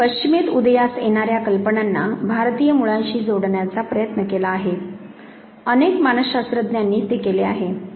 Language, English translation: Marathi, They have tried connecting ideas originating from the west to the Indian roots, many psychologist have done that